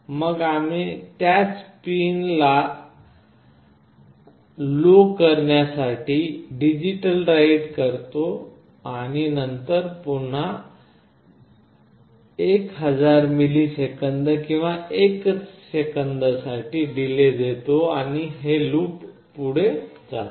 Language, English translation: Marathi, Then we do a digitalWrite to the same pin 7 to low, and then we delay it for again the same 1000 milliseconds or 1 second, and this goes on in a loop